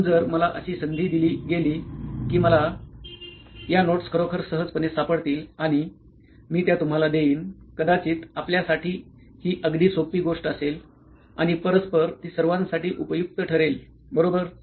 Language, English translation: Marathi, So if I am given an opportunity where I can actually find these notes very easily and I can give it to you perhaps this will be a very easy thing for you and mutually it will be very useful for everyone, right